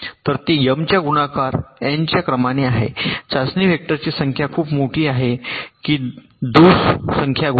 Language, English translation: Marathi, so it is of the order of n multiplied by m, number of test vectors multiplied by number of faults, which is pretty large